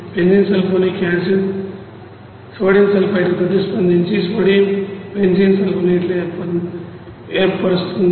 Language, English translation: Telugu, Neutralization where benzene sulphonic acid is reacted to sodium sulfite to form sodium benzene sulphonate